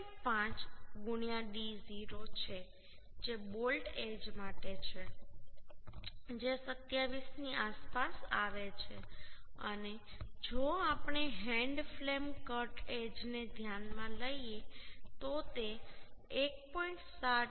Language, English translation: Gujarati, 5 into d0 that is for bolt edge is coming around 27 and and if we consider hand flame cartage then that will be 1